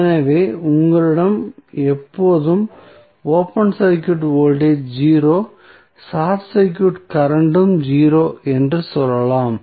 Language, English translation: Tamil, So, what you can say that you always have open circuit voltage 0, short circuit current also 0